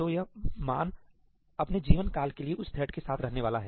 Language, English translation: Hindi, So, this value is going to stay with that thread for its lifetime